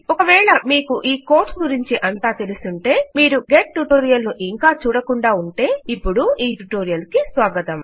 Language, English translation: Telugu, If you already know these codes about and you have not seen the get tutorial, you are welcome to join us